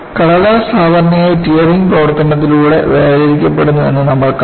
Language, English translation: Malayalam, And, we have already seen, paper is usually separated by a tearing action